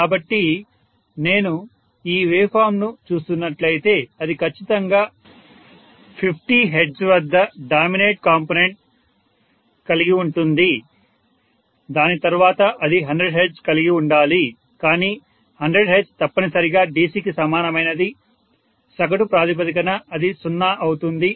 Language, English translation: Telugu, So, if I am looking like at this waveform it will definitely have the dominant component as 50 hertz, next to that it should have been 100 hertz, but 100 hertz essentially is something similar to DC on an average basis it will be 0